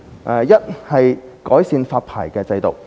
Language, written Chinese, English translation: Cantonese, 首先是改善發牌制度。, The first aspect is to improve the licensing regime